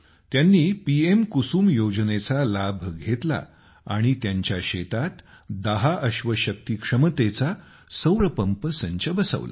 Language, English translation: Marathi, He took the benefit of 'PM Kusum Yojana' and got a solar pumpset of ten horsepower installed in his farm